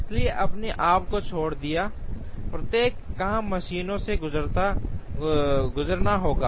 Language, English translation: Hindi, So, left to itself, each job will go through the machines